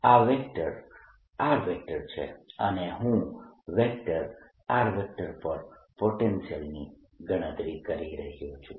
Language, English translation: Gujarati, this vector is r and i am calculating the vector potential at sum vector r